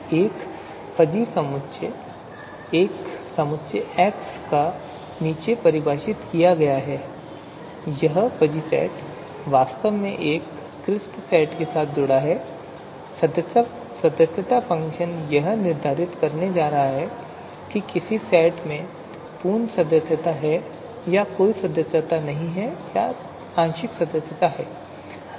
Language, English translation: Hindi, So this fuzzy set is actually you know, associated is going to be associated with a crisp you know set wherein a membership function is going to determine whether the you know full membership is there or you know no membership or partial membership is there